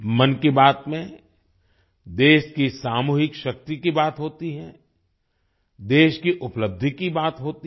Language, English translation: Hindi, In 'Mann Ki Baat', there is mention of the collective power of the country;